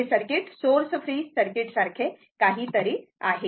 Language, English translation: Marathi, This this circuit is something like a source free circuit, right